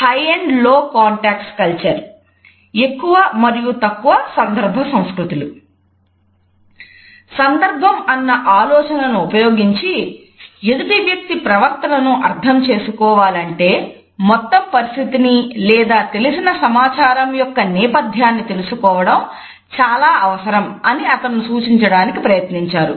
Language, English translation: Telugu, By the idea of context, he wants to suggest that in order to understand the behavior of a person it is necessary to encode the whole situation or background of the given information